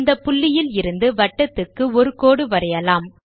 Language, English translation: Tamil, Let us draw a line from this dot to the circle